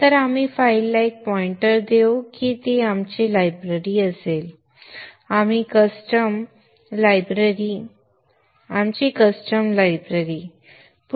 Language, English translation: Marathi, So we will give a pointer to the file that would be our library, our custom library